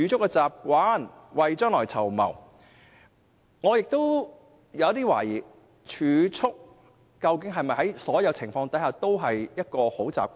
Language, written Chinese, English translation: Cantonese, 我對此抱有懷疑，究竟儲蓄是否在所有情況下也是一種好習慣？, I am skeptical about this . Is saving a good habit regardless of circumstances?